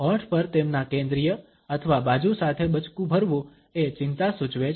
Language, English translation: Gujarati, Biting on the lips with their centrally or at the side indicates anxiety